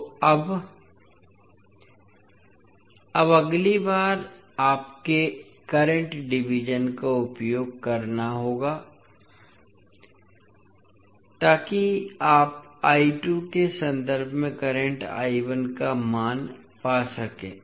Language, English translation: Hindi, Now, next again you have to use the current division, so that you can find the value of current I 1 in terms of I 2